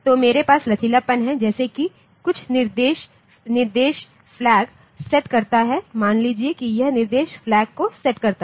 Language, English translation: Hindi, So, I have the flexibility like if some instruction sets the flag suppose this instruction sets the flag